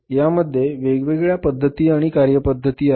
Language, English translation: Marathi, So, it has different techniques, different methods and methodologies